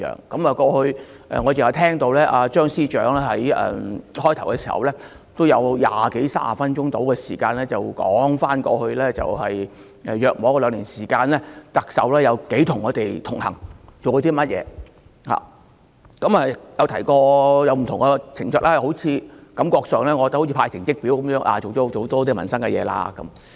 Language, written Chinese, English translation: Cantonese, 剛才我聆聽張司長辯論開始時的發言，他用二三十分鐘時間來談論特首在過去大約兩年時間如何與我們同行、做過甚麼工作，又提及不同情況，感覺好像是派成績表般，做了很多民生的事情。, Just now I listened carefully to the opening speech delivered by Chief Secretary for Administration Matthew CHEUNG at the start of the debate . He spent 20 to 30 minutes talking about how the Chief Executive had connected with us in the last couple of years what work she had undertaken and he also mentioned various situations as though issuing a report card setting out the many things that have been done in respect of peoples livelihood